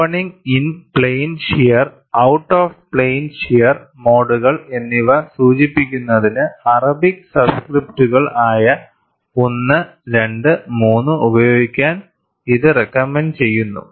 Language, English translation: Malayalam, It recommends the use of Arabic subscripts, 1, 2 and 3 to denote opening, in plane shear and out of plane shear modes